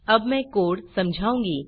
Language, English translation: Hindi, I will explain the code